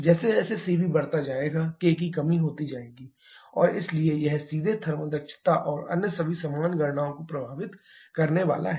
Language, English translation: Hindi, As Cv increases k will decrease and therefore it is directly going to affect the thermal efficiency and all other similar calculations